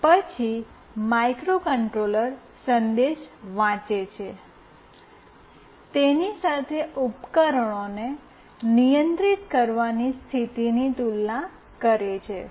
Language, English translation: Gujarati, Then the microcontroller reads the message, compares it with the condition for controlling the equipment